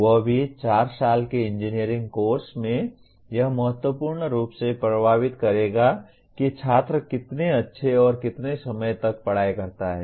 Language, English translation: Hindi, That too in a 4 year engineering course it will significantly influence how well and how long the student study